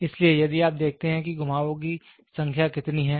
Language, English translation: Hindi, So, here if you see that is number of turns will be there